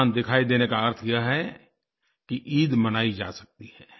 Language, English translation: Hindi, Witnessing the moon means that the festival of Eid can be celebrated